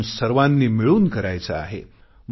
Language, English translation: Marathi, We have to do this together